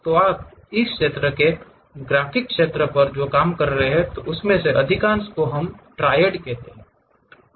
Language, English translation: Hindi, So, most of the drawings what you work on this area graphics area what we call will consist of triad